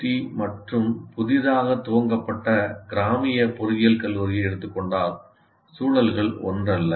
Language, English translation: Tamil, Like if you take an IIT and a newly opened rural engineering college, the contexts are not the same